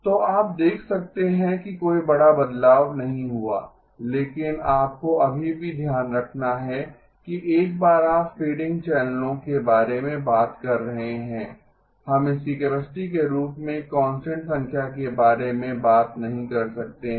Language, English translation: Hindi, So you can see that there is not much of a, not a big change but you still have to keep in mind that once you are talking about fading channels, we cannot talk about a constant number as its capacity